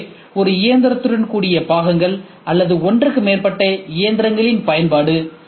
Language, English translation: Tamil, So, parts with one machine or use of more than one machine